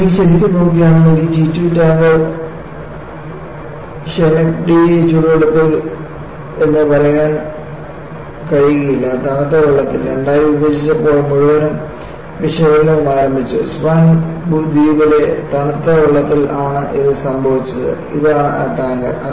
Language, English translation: Malayalam, And if you really look at, the whole analysis started when you had this T 2 tanker Schenectady broke into two in the warm waters of, in the cold waters, you should not say warm waters, in the cold waters of Swan island and this is the tanker